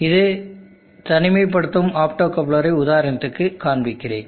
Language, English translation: Tamil, Here is an example of an optocoupler isolation